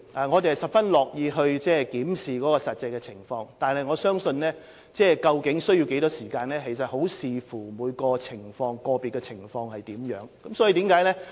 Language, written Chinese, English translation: Cantonese, 我們十分樂意檢視實際情況，但究竟住宿期需要多長時間，我想要視乎個別情況而定。, We would be most willing to look into the actual situation . As regards the optimal duration of stay I think it would depend on the circumstances of individual cases